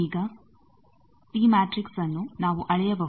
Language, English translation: Kannada, Now, T matrix we can measure